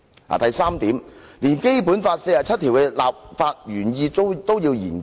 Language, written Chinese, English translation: Cantonese, 第三，連《基本法》第四十七條的立法原意都要研究？, Third he even proposed to study the legislative intent of Article 47 of the Basic Law